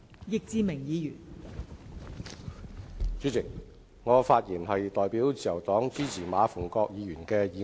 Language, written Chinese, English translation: Cantonese, 代理主席，我代表自由黨支持馬逢國議員的議案。, Deputy President on behalf of the Liberal Party I support Mr MA Fung - kwoks motion